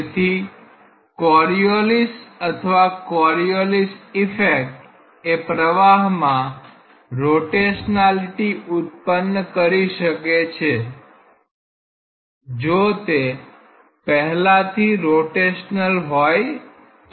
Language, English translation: Gujarati, So, Coriolis forces or Coriolis effects can create a rotationality in the flow if it was originally rotational